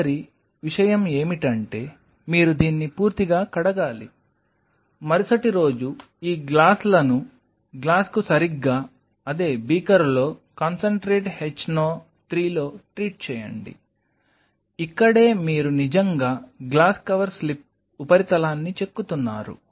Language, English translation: Telugu, Next thing what you do you wash it completely, next day and then treat the glass these glasses exactly in the same beaker on concentrated hno 3, this is where you are really etching the glass cover slip surface